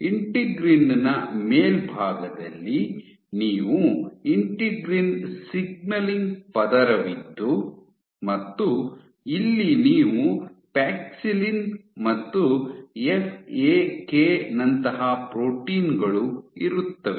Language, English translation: Kannada, Just on top of integrin you have integrin signaling layer and here you have proteins like Paxillin and FAK